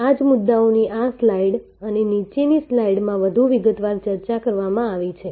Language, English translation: Gujarati, This same points are discussed in more detail in this slide and the following slide